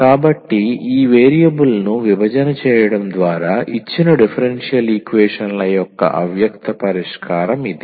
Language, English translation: Telugu, So, this is the implicit solution of the given differential equation by separating this variable